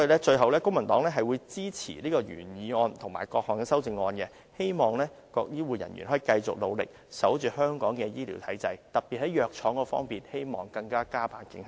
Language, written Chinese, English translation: Cantonese, 最後，公民黨支持原議案和各項修正案，希望各醫護人員可以繼續努力，守護香港的醫療體制，特別是在藥廠方面，希望可以加把勁。, Lastly the Civic Party supports the original motion and the various amendments in the hope that all healthcare workers can continue to work hard to protect Hong Kongs healthcare system . In particular I hope pharmaceutical firms can work even harder